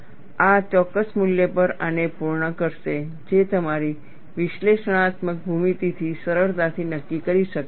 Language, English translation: Gujarati, This will meet this, at a particular value, which could be easily determined from your analytical geometry